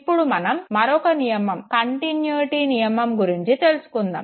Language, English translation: Telugu, Let us look at another example of a law of continuity